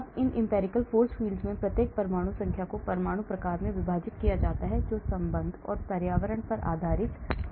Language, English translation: Hindi, now these empirical force fields each atomic number is divided into atom types, based on the bonding and environment